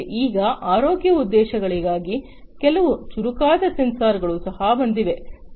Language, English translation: Kannada, But now there are some smarter sensors for healthcare purposes that have also come up